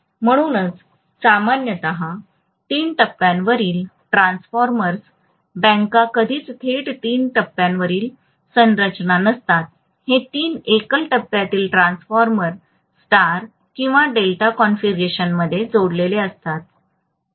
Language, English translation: Marathi, So that is the reason why normally three phase transformers banks are never directly three phase construction it is three single phase transformers connected in star or delta configuration